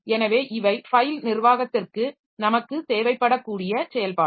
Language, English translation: Tamil, So, these are the operations that we may need for file management